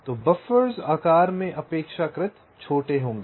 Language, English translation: Hindi, ok, so the buffers will be relatively smaller in size